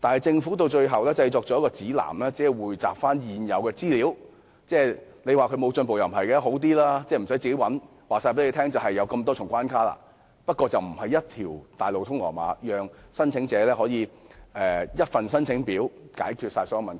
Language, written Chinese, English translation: Cantonese, 政府此舉雖然進步了，告知市民有多少重關卡，無須自行尋找這方面的資料，卻非一條大路通羅馬，讓申請者只須填寫一份申請表便解決所有問題。, Though the Governments action is an improvement in that the guidelines inform the public of the number of hurdles to overcome thus relieving them of the need to find the information themselves; there is still no highway to success as the applicant cannot fill in a single application form to solve all the problems